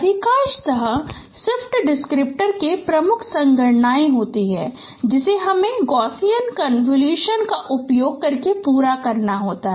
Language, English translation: Hindi, Mostly in the shift descriptor the major computation that we need to carry out by using the Gaussian convolution